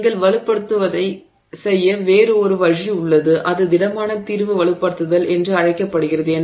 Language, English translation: Tamil, That is another way in which you can strengthen the material and you can have something called solid solution strengthening